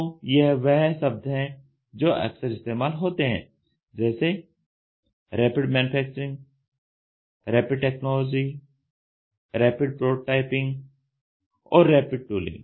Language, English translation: Hindi, So, these are the terminologies which are often used Rapid Manufacturing, Rapid Technology, Rapid Prototyping, Rapid Tooling